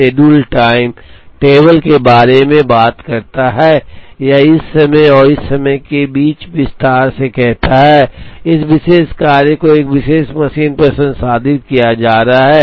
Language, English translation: Hindi, The schedule talks about the time table or gets into detail saying in between this time and this time, this particular job is getting processed on a particular machine